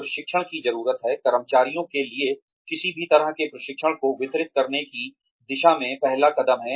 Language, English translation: Hindi, Training needs assessment is the first step, towards delivering, any kind of training, to the employees